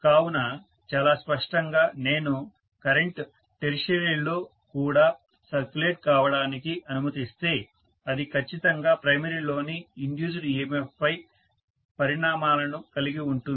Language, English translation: Telugu, So very clearly if I allow the current to circulate even in the tertiary it is definitely going to have repercussions on the induced EMF on the primary